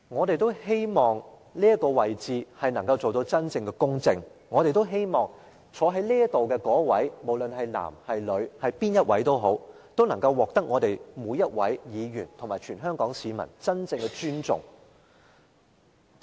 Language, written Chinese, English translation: Cantonese, 主席，我們都希望這個角色能夠做到真正的公正，希望坐在這個位置的人，無論是男是女是誰都好，能夠獲得每位議員及全香港市民真正的尊重。, President we all hope that the person who takes up this role whoever he or she is will act in a fair and impartial manner so as to gain the true respect from all Members and the public